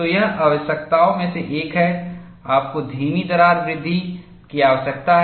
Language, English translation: Hindi, So, one of the requirements here is, you will need to have slow crack growth